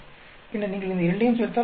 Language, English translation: Tamil, Then you add up these two you will get 352